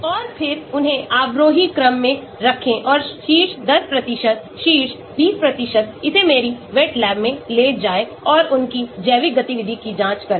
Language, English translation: Hindi, And then put them in the descending order and take the top 10%, top 20%, take it to my wet lab and check it out for their biological activity